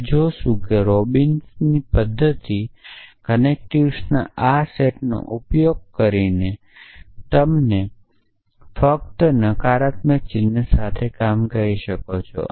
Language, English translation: Gujarati, We will see that Robinson’s method using this set of connectives you can even just work with and or you can even just work with or and negation sign